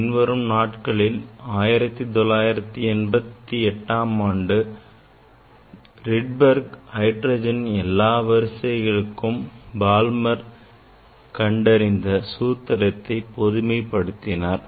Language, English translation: Tamil, Later on, in 1988 Johannes Rydberg generalize the Balmer equation for all transition of hydrogen atoms